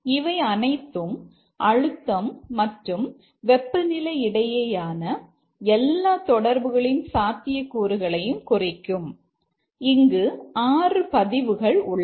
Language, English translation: Tamil, So, that is all possible combinations of pressure and temperature and there are six entries here